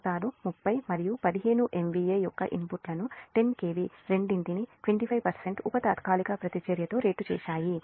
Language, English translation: Telugu, the motors have rated inputs of thirty and fifteen m v a, both ten k v, with twenty five percent subtransient reactance